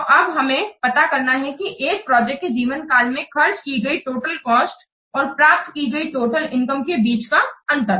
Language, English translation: Hindi, So, we have to find out the difference between the total cost spent and the total income obtained over the life of the project